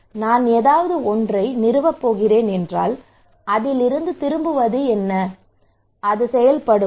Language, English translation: Tamil, If I am going to install someone what is the return out of it, will it work